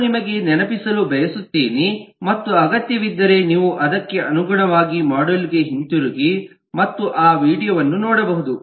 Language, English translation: Kannada, i would just like to remind you, and if needed you can go back to the corresponding module and look at that video now